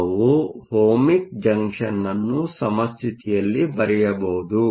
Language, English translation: Kannada, We can draw the Ohmic Junction in equilibrium